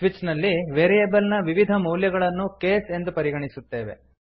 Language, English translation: Kannada, In switch we treat various values of the variable as cases